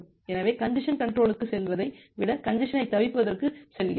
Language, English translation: Tamil, So, rather than going for congestion control, we go for congestion avoidance